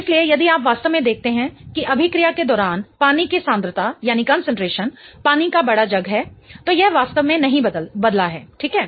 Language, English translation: Hindi, So, if you really see that throughout the reaction, the concentration of water, that is the big jar of water, it hasn't really changed, right